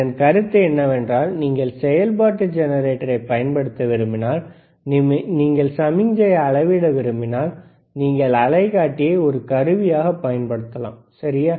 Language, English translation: Tamil, The point is, if you want to use function generator, and you want to measure the signal, you can use oscilloscope as an equipment, all right